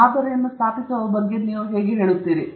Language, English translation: Kannada, How you have gone about setting up the model